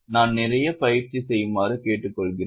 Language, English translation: Tamil, I will request you to practice a lot